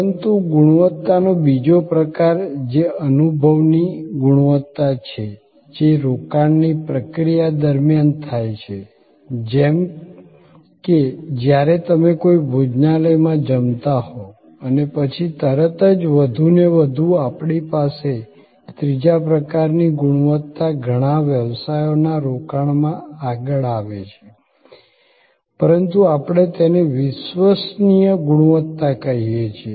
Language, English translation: Gujarati, But, the next type of quality, which is experience quality happens during the process of engagement, like when you are having a meal at a restaurant and after, immediately after and more and more we have a third type of quality coming forward in many business engagements and that is, but we call credence quality